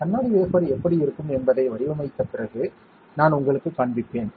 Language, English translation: Tamil, And I will show you after patterning how the glass wafer will look like